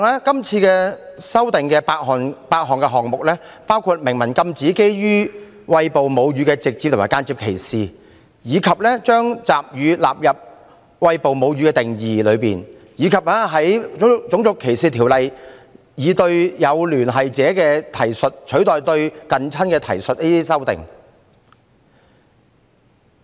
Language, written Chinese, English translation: Cantonese, 今次修訂有8個項目，包括禁止對餵哺母乳的直接或間接歧視、將集乳加入"餵哺母乳"的定義內，以及修訂《種族歧視條例》，以"有聯繫者"的提述取代"近親"的提述。, There are eight proposals in this amendment exercise including prohibiting direct or indirect discrimination against a woman on the ground of breastfeeding; amending the Race Discrimination Ordinance RDO by replacing the reference to near relatives with associates